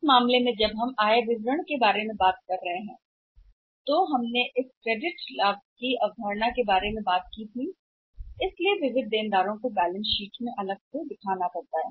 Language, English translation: Hindi, In this case when we are talking about the income statement about the concept of the sundry debtors have to be shown separately in the balance sheet